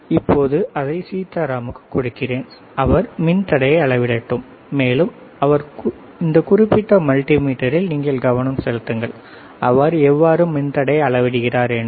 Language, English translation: Tamil, So, for that I will give it to Sitaram, and let him measure the resistance, and you can you focus on this particular multimeter, how he is measuring the resistance, all right